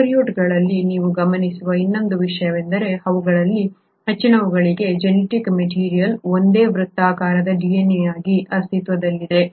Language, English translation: Kannada, The other thing that you observe in prokaryotes is that for most of them genetic material exists as a single circular DNA